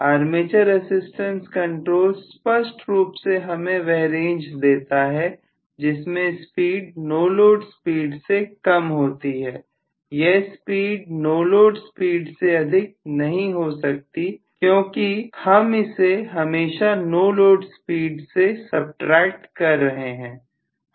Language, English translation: Hindi, I will have clearly armature resistance control giving me the range where the speed will be less than the no load speed, speed cannot be no more than the no load speed because I am subtracting it always from the no load speed